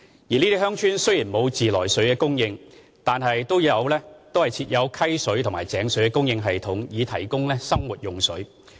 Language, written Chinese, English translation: Cantonese, 這些鄉村雖然沒有自來水供應，但都設有溪水或井水的供應系統以提供生活用水。, While these villages do not have treated water supply they have access to systems that supply stream or well water for domestic consumption